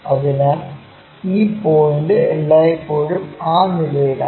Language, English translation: Malayalam, So, this point always be on that ground